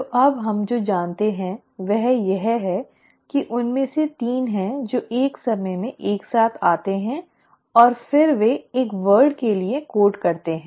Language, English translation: Hindi, So what we know now is that actually there are 3 of them who come together at a time and then they code for a word